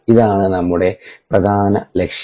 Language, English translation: Malayalam, ok, this is are main aim